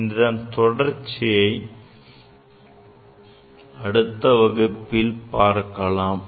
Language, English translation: Tamil, I will continue this summary in next class also